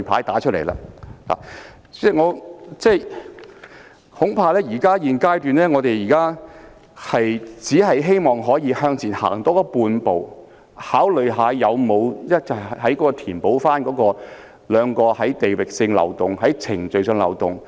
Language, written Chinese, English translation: Cantonese, 代理主席，恐怕現階段我們只能希望向前踏出半步，考慮是否有辦法填補地域上和程序上的漏洞。, Deputy President at this stage we probably can only hope to take half a step forward and consider if there are ways to plug the territorial and procedural loopholes